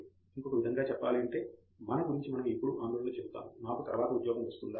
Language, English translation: Telugu, In the sense, we always worry about you know; Will I get a job afterwards